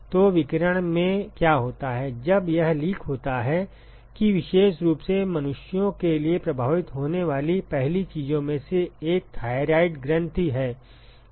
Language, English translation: Hindi, So, what happens in radiation when it leaks is that particularly for human beings one of the first things that gets affected is the thyroid gland